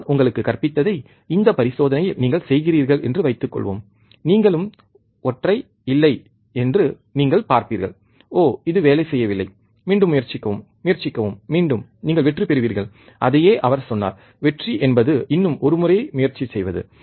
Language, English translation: Tamil, Suppose you work on this experiment what I have taught you, and you will see there is no single and you said, oh, this is not working do that try once again, try once again, you will succeed that is what he also said that the most certain way to succeed is to try one more time